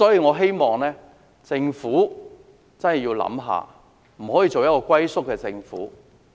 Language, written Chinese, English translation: Cantonese, 我希望政府認真思考，不應做一個龜縮的政府。, I urge the Government to have a serious think about it